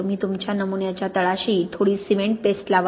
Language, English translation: Marathi, You put a little bit of cement paste at the bottom of your sample